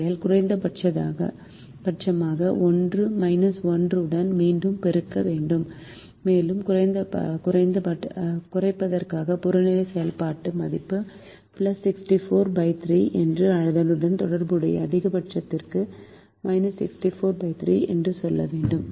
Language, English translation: Tamil, therefore we have to multiply back with a minus one for the minimization and say that the objective function value for the minimization is plus sixty four by three, while for the corresponding maximization it was minus sixty four by three